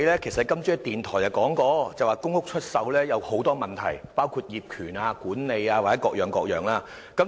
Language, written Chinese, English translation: Cantonese, 今天你在電台節目中表示，公屋出售有很多問題，包括業權、管理及各樣問題。, In the radio programme today you said that the sale of public housing units would involve problems in many areas including land titles housing management and many others